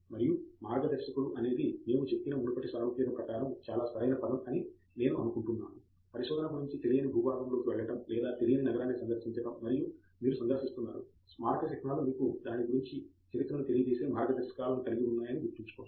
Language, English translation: Telugu, And I think the guide is a very appropriate term going by the previous analogy we said; research is about going into an unknown territory or visiting an unknown city and you are visiting monuments remember you have guides telling you giving to the history about it